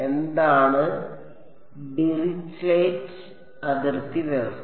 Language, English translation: Malayalam, What is Dirichlet boundary condition